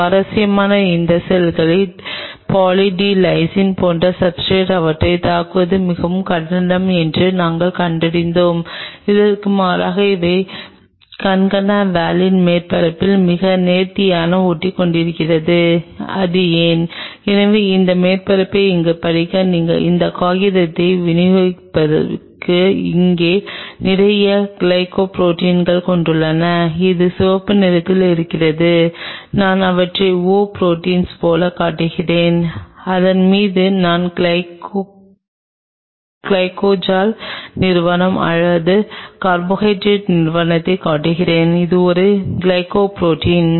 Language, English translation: Tamil, Interestingly we figured out that these cells it is very difficult to attack them in substrate like Poly D Lysine contrary to this these adhere very nicely on concana valin surface why is it so I will distribute this paper for you guys to read apparently this surface out here it has lot of glycoproteins out here it is red I am showing them like oh proteins and on that I am just showing the glycol entity or the carbohydrate entity it is a glycoprotein